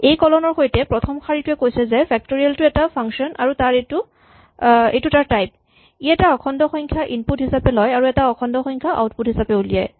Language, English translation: Assamese, So, the first line with this double colon says that factorial is a function and this is itÕs type, it takes an integer as input and produces an integer as output